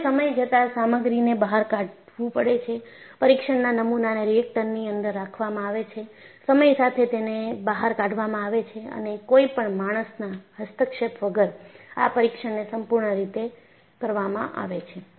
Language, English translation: Gujarati, So, they have to take out the material periodically, test specimens are kept inside the reactor, take out periodically and conduct the complete test, without any human intervention